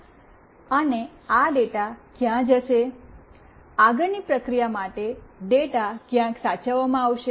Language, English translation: Gujarati, And where this data will go, the data will be saved somewhere for further processing